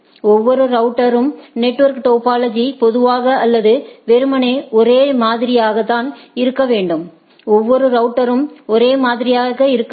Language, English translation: Tamil, The network topology in each router is typically or ideally should be same right, each router should be same